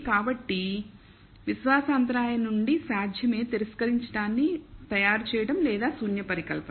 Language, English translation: Telugu, So, from the confidence interval itself is possible to make the reject or the null hypothesis